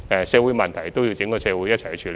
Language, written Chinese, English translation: Cantonese, 社會問題要由整個社會共同處理。, Social issues must be dealt with by society as a whole